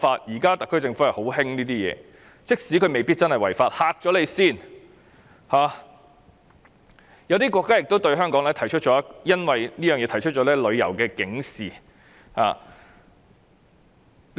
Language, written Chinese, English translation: Cantonese, 現在特區政府很喜歡這樣做，即使未必違法，也希望有一個阻嚇作用，有些國家因而對香港發出旅遊警示。, Now the SAR Government tends to take such actions even though the persons concerned may not violate the law they may be deterred . Some countries have therefore issued travel alerts for Hong Kong